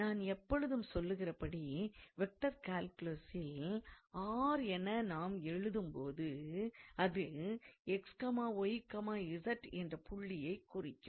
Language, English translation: Tamil, So, always as I have told you whenever you write r in vector calculus, it is always the point x, y, z